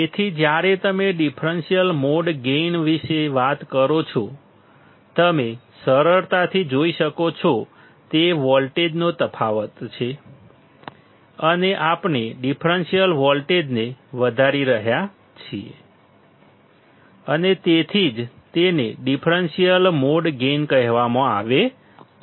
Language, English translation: Gujarati, So, when you talk about differential mode gain; you can easily see, it is a difference of voltage and that we are amplifying the differential voltage and that is why it is called differential mode gain